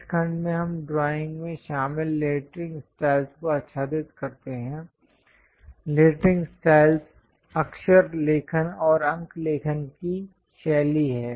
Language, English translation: Hindi, In this section, we cover what are the lettering styles involved for drawing; lettering is the style of writing alphabets and numerals